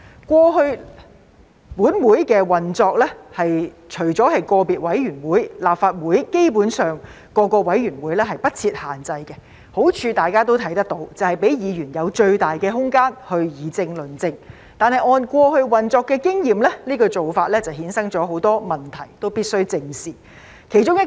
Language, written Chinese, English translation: Cantonese, 過去本會的運作方面，除了個別委員會外，立法會各個委員會對人數基本上不設限制，大家也能看到當中的好處，便是讓議員有最大的空間去議政論政，但按過去運作的經驗，這個做法衍生很多問題，我們都必須正視。, As far as the operation of this Council in the past is concerned except for individual committees there was basically no limit on the membership size of each committee of LegCo . We can see its advantage that is Members being allowed the widest scope of political deliberation and debate . However according to operational experience this practice has given rise to many problems that we must face squarely